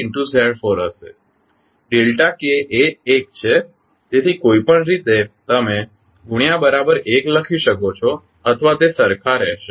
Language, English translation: Gujarati, Delta k is 1 so anyway that is you can write multiply equal to 1 or it will remain same